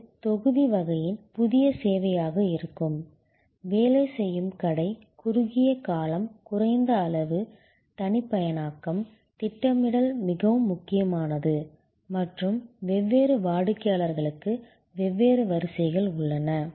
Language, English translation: Tamil, It will be a new service of the batch type, job shop, short duration, low volume, customization, scheduling is very important and there are different sequences for different customers